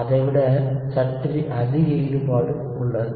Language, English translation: Tamil, It is slightly more involved than that